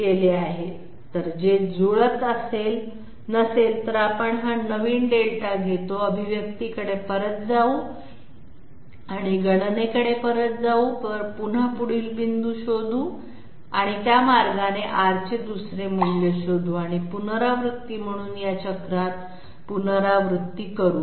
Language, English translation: Marathi, If it does not match, we take this new Delta, go back to the expression and go back to the calculations, again find out the next point and that way find out another value of R and go on repeat in this cycle as an iteration